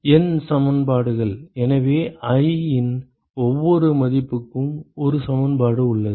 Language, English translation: Tamil, N equations, so you have 1 equation for every value of i right